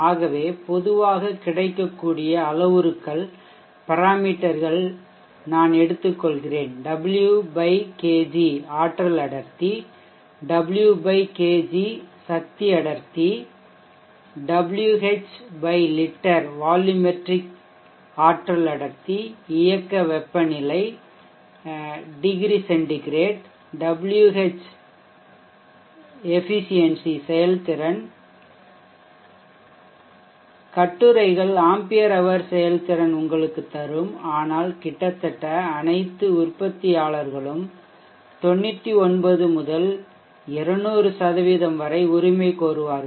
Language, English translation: Tamil, Let us do some comparing of batteries so let P type of one of the parameters combine available watt over per kg the energy density watt per kg power density watt over liter volumetric energy density let us take the operating temperature degree centigrade watt over efficiency literature will also give you ampere power efficiency but almost all manufactures will claim 99% 200%